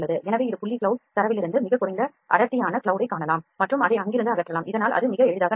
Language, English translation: Tamil, So, this is from point cloud data we can see the very less dense cloud and remove it from there, so that can happen very easily